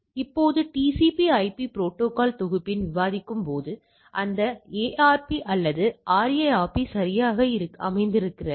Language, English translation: Tamil, Now, as we were discussing in the TCP/IP protocol suite where, this ARP or RARP sits all right